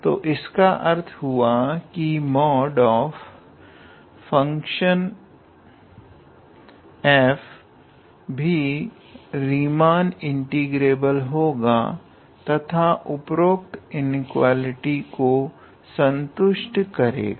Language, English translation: Hindi, So, and so that means the mod of function f is also Riemann integrable, and it satisfies this inequality